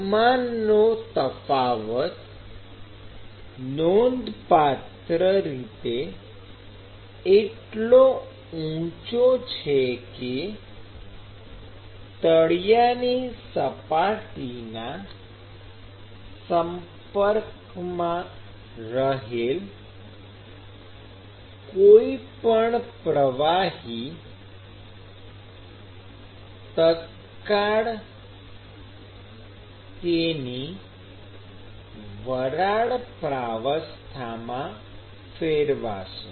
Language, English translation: Gujarati, So, the temperature difference is significantly higher that any fluid which comes in contact with the bottom surface is going to be instantaneously converted into its vapor stage